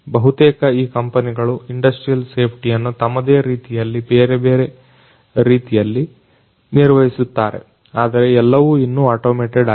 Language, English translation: Kannada, Many of these companies they take care of the industrial safety in their different, different ways, but not all of which is yet you know automated